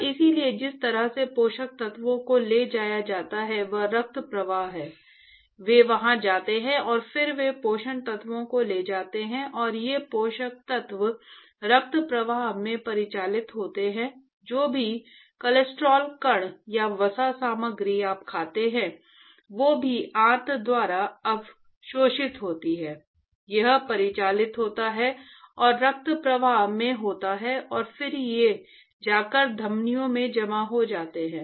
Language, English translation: Hindi, And so the way the nutrients are carried is the bloodstream, they actually go over there and then they carry the nutrients and these nutrients are now circulated in the bloodstream, whatever cholesterol particles or fat material that you eat, whichever is absorbed by the intestine, it is actually circulated and into the bloodstream and then these they go and deposit in the arteries